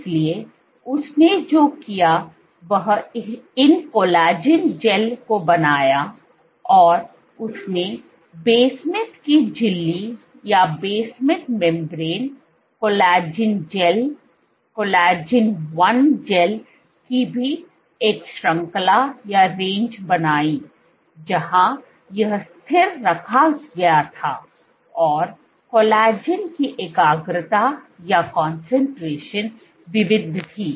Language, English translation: Hindi, So, she made a range of basement membrane, collagen gels collagen 1 gels, where this was kept constant and the concentration of collagen was varied